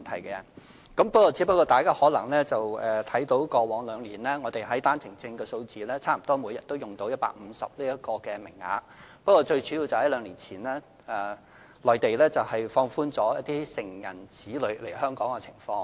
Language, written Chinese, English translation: Cantonese, 大家可能看到過往兩年單程證的數字，即每天差不多用到150個名額，但這個主因是內地在兩年前，放寬了成人子女來港的限制。, Members may feel concerned about the figures relating to OWP cases in the past two years where the daily quota of 150 was almost fully granted . Yet this is mainly attributed to the Mainlands relaxation of the restrictions for adult children coming to Hong Kong two years ago